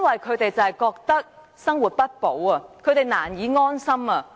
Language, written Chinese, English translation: Cantonese, 他們覺得生活不保，難以安心。, They find life unprotected and it difficult to feel secure